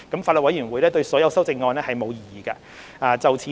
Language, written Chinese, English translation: Cantonese, 法案委員會對所有修正案並無異議。, The Bills Committee has no objection to all the amendments